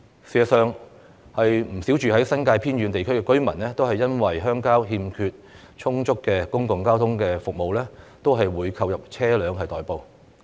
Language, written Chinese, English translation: Cantonese, 事實上，不少住在新界偏遠地區的居民也會因鄉郊欠缺充足公共交通服務而購入車輛代步。, In fact quite a number of residents living in remote areas in the New Territories have bought vehicles for transport purposes because of the insufficient public transport services in the rural areas